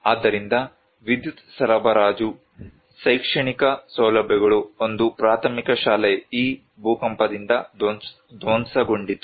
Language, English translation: Kannada, So, electricity supply, educational facilities, one primary school they all were devastated by this earthquake